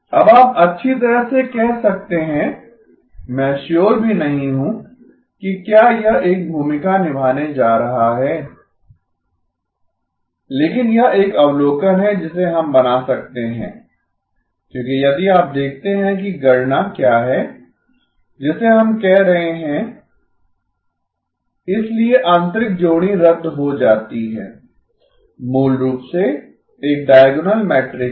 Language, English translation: Hindi, Now you may say well I am not even sure where this is going to play a role, but this is an observation that we can make because if you look at what is the computation that we are doing, W dagger times, WW dagger is equal to M times I, so the inner pair gets cancelled, basically have a diagonal matrix